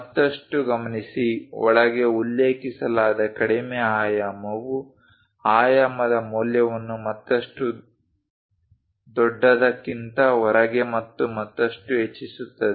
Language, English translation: Kannada, Further note that, the lowest dimension mentioned inside further increase in dimension value outside and further outside the largest one